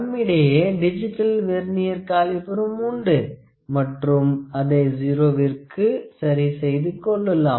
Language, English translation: Tamil, We also have the digital Vernier calipers, where we can adjust the 0